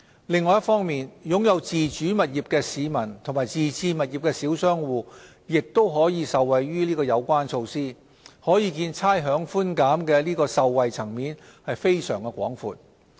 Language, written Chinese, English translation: Cantonese, 另一方面，擁有自住物業的市民和自置物業的小商戶亦可受惠於有關措施，可見差餉寬減的受惠層面非常廣闊。, On the other hand owners of self - occupied properties and small business operators with self - owned premises can also benefit from the measure . We can thus see the extensive coverage of the rates concession